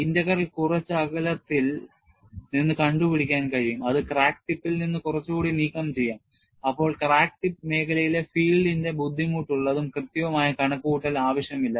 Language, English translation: Malayalam, Since, the integral can be taken at a distance, somewhat removed from the crack tip, a cumbersome and precise computation of the field in the crack tip region, then, is not necessary